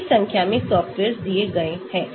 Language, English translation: Hindi, huge number of softwares are given